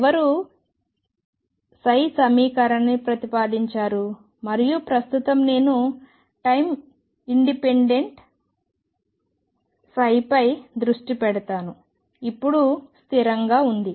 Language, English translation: Telugu, Who proposed an equation for psi and right now I will focus on time independent psi, now stationary psi